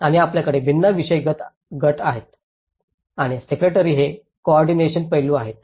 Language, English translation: Marathi, And you have different thematic groups and the secretary is the coordinating aspect